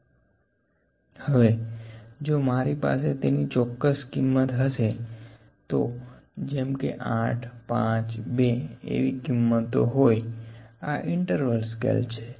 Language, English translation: Gujarati, Now if I have the specific value for that, for instance, 8, 5, 2 was the value, this is an interval scale